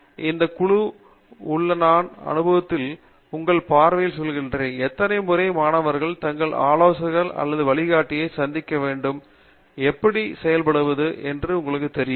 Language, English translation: Tamil, In this context I mean in your experience and your view, how often should students be meeting their advisor or guide and how does that know come out come out in play